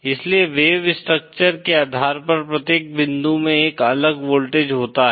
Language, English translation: Hindi, That is why, each point has a different voltage depending on the wave structure